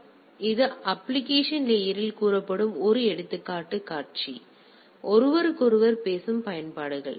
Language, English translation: Tamil, Like PGP is a example scenario that is say in application layer; these are the applications which are talking to each other right